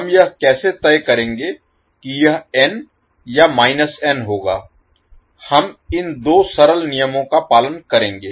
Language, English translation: Hindi, How we will decide whether it will be n or minus n, we will follow these 2 simple rules